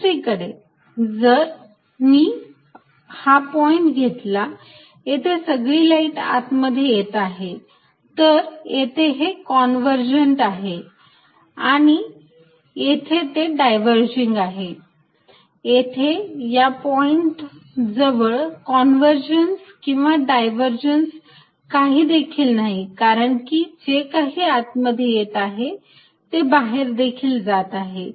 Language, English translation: Marathi, On the other hand, if I take a point here we are all the light is coming in, then I will say this is convergent as converging to this point is diverging from this point, here at this point there is really no convergence and divergence they could be as we just discussed divergence of this point, because everything is coming out of here